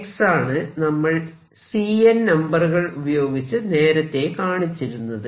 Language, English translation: Malayalam, What is x this is represented by the C n numbers